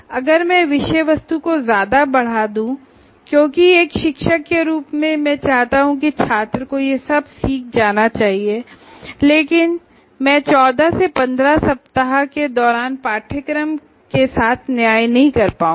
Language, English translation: Hindi, If I increase the content indefinitely because as a teacher I consider all that should be learned, but I will not be able to do a proper justice during the 14 to 15 weeks